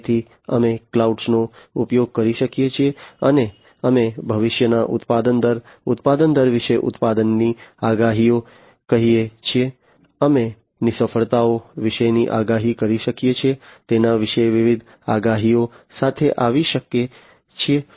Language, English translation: Gujarati, So, we could use cloud, and we can come up with different predictions about let us say production predictions about the future production rate, production rate, we can have predictions about failures